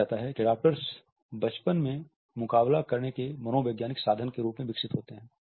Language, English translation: Hindi, Adaptors are thought to develop in childhood as physio psychological means of coping